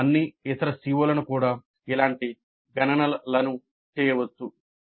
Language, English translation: Telugu, We can do similar computations for all the other COs also